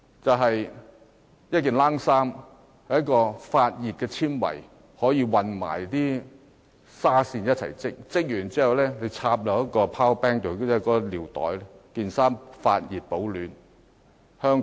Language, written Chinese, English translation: Cantonese, 首先是發熱纖維，可以混合紗線一起織製成毛衣，完成後可連接一個 power bank， 令毛衣可以發熱保暖。, The first one is the thermal fibre which can be mixed with yarn to produce a sweater . The sweater can be connected to a power bank to keep the body warm